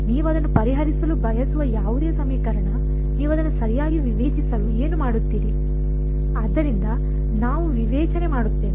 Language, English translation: Kannada, Any equation you want to solve it, what would you do discretize it right, so we would do a discretisation